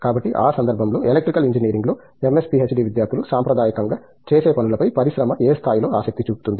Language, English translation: Telugu, So, in that context, to what degree does the industry show interest in what MS PhD students traditionally do in Electrical Engineering